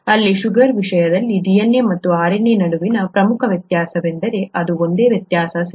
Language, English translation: Kannada, That’s the only difference between or that’s one of the major differences between DNA and RNA in terms of the sugar here, right